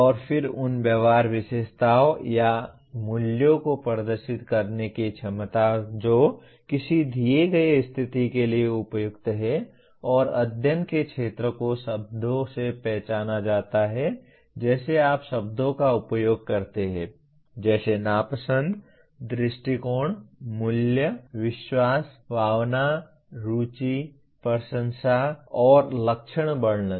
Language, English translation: Hindi, And then ability to demonstrate those attitudinal characteristics or values which are appropriate to a given situation and the field of study are identified by words such as like you use the words like, dislike, attitude, value, belief, feeling, interest, appreciation, and characterization